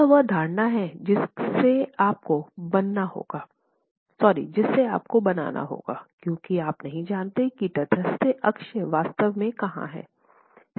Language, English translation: Hindi, This is the assumption that you will have to make because you don't know where the neutral axis is actually lying